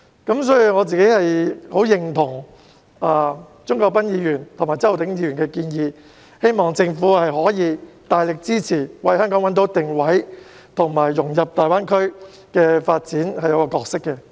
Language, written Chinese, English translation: Cantonese, 因此，我十分認同鍾國斌議員及周浩鼎議員的建議，希望政府可以大力支持，為香港找到定位及在大灣區發展中的角色。, Therefore I strongly agree with the suggestions put forward by Mr CHUNG Kwok - pan and Mr Holden CHOW . I hope the Government can offer tremendous support to Hong Kong in identifying its position and role in the development of GBA